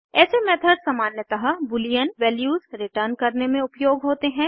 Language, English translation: Hindi, Such methods are generally used to return boolean values